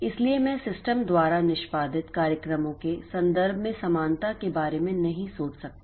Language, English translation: Hindi, So, I cannot think of parallelism in terms of programs being executed by the system